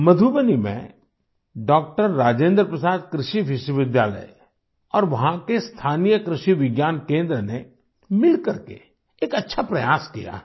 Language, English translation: Hindi, Rajendra Prasad Agricultural University in Madhubani and the local Krishi Vigyan Kendra have jointly made a worthy effort